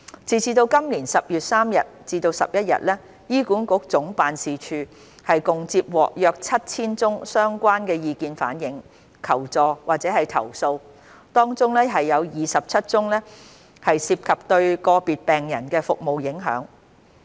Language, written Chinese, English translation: Cantonese, 截至今年10月31日，醫管局總辦事處共接獲約 7,000 宗相關的意見反映、求助或投訴，當中27宗涉及對個別病人的服務影響。, As at 31 October this year HA Head Office has received about 7 000 related views requests for assistance or complaints . Among them 27 cases concerned service provision for individual patients